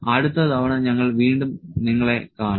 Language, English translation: Malayalam, We will meet you again next time